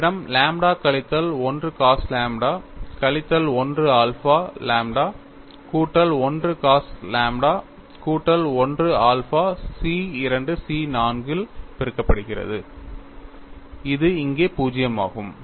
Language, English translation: Tamil, The next equation is C 1 lambda minus 1 sin lambda minus 1 alpha C 2 multiplied by lambda minus 1 cos lambda minus 1 alpha plus C 3 lambda plus 1 sin lambda plus 1 alpha plus C 4 lambda plus 1 into cos lambda plus 1 alpha equal to 0